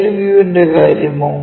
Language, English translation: Malayalam, What about side view